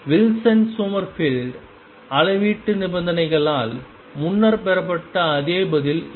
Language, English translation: Tamil, Which is the same answer as obtained earlier by Wilson Summerfield quantization conditions